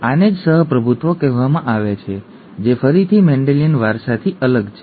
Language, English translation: Gujarati, That is what is called co dominance which is again a difference from the Mendelian inheritance